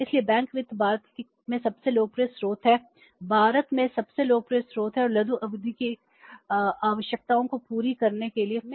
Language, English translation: Hindi, Why it is most popular source in India and how firms are making use of it for meeting their short term requirements